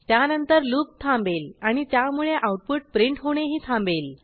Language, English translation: Marathi, It subsequently breaks out of the loop and stops printing the output